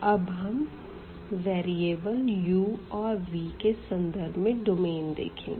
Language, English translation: Hindi, So, the limits will now follow according to the new variables u and v